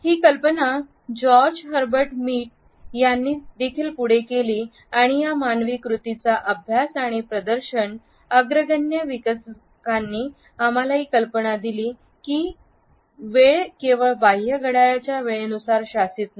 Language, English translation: Marathi, The idea was also carried forward by George Herbert Mead and these leading developers of the study of human acts and presentness alerted us to this idea that the time is not governed only by the external clock time